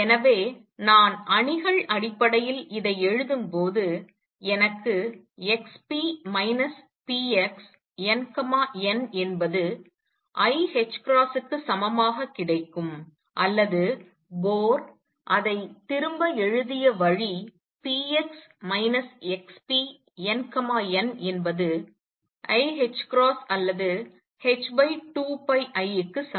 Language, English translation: Tamil, Therefore, when I write this in terms of matrices i get x p minus p x n, n equals i h cross or return the way Bohr wrote it p x minus x p n n equals h cross over i or h over 2 pi i